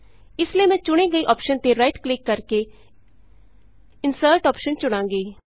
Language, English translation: Punjabi, So, I shall right click on the selection and choose Insert option